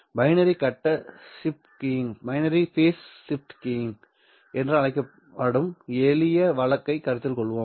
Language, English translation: Tamil, Let us consider the simplest case of what is called as binary face shift keying